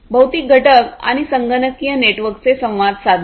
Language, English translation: Marathi, Interacting networks of physical components and computational